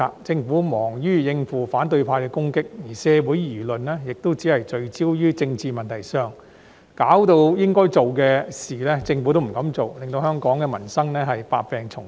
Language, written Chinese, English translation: Cantonese, 政府忙於應付反對派的攻擊，而社會輿論亦聚焦於政治問題上，以致應該做的事，政府都不敢做，令香港民生百病叢生。, During the past period of time the Government was busy coping with the attacks from the opposition camp and the focus of public opinions was also on political issues . As a result the Government did not dare to do what it should have done leading to numerous problems concerning peoples livelihood